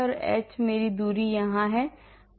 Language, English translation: Hindi, h is my distance here